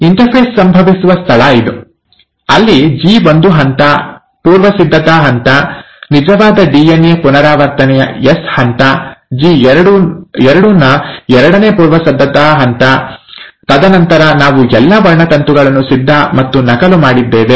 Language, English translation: Kannada, So this is where the interphase happens, there was a G1 phase, the preparatory phase, the S phase of actual DNA replication, the second preparatory phase of G2, and then, we had all the chromosomes ready and duplicated